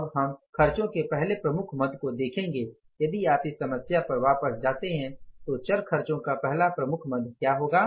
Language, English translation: Hindi, Now, we will take here as the first head of the expense is what if you go back to the problem, the first head of the variable expense is the fuel